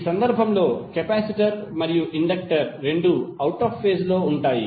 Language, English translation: Telugu, In this case capacitor and inductor both will be out of phase